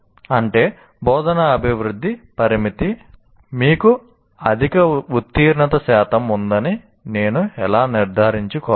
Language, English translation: Telugu, And instructional development constraint is required to achieve high pass percentage